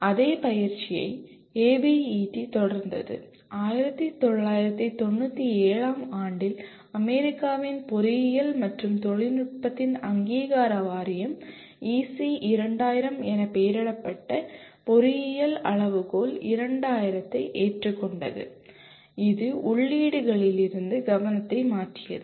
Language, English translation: Tamil, And the same exercise was continued by ABET, the accreditation board of engineering and technology of USA in 1997 adopted Engineering Criteria 2000 labelled as EC2000 which shifted the focus away from the inputs